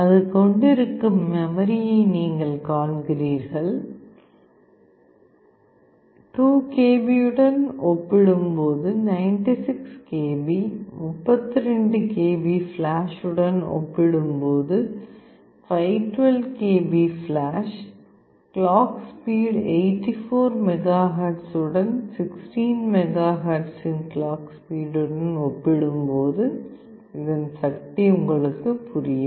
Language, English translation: Tamil, You see the kind of memory it is having; 96 KB compared to 2 KB, 512 KB of flash compared to 32 KB of flash, clock speed of 84 megahertz compared to clock speed of 16 megahertz